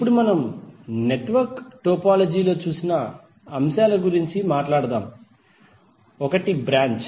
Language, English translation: Telugu, Now let us talk about the elements which we just saw in the network topology, one is branch